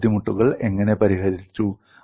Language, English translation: Malayalam, How these difficulties were addressed